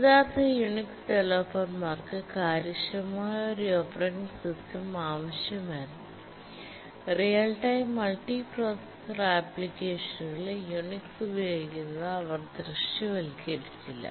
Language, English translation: Malayalam, The original Unix developers wanted an efficient operating system and they did not visualize the use of Unix in real time and multiprocessor applications